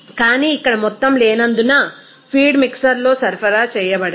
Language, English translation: Telugu, But here since there is no amount is supplied in the feed mixer